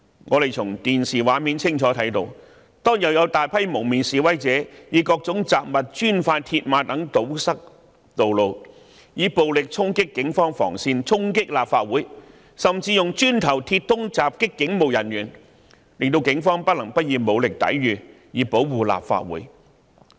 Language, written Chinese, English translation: Cantonese, 我們從電視畫面清楚看到，當天有大批蒙面示威者以各種雜物、磚塊和鐵馬等堵塞道路，暴力衝擊警方防線、衝擊立法會，甚至以磚塊和鐵枝襲擊警務人員，令警方不得不以武力抵禦，以保護立法會。, We saw clearly on the television screen that a large number of masked protesters used bricks mills barriers and various kinds of objects to block roads violently charged at police cordon lines and stormed the Legislative Council Complex . They even used bricks and metal bars to attack police officers . The police officers could only use force in defence to protect the Legislative Council Complex